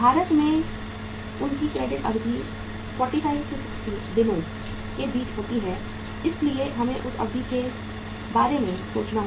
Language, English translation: Hindi, In India their credit period ranges between 45 to 60 days so we uh have to think about that period